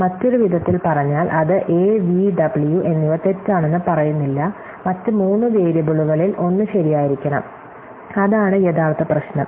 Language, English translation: Malayalam, So, in other words, it is saying both a v and w, not w are false, then one of the other three variables must be true, which is exactly what the original problem; one of these five must be true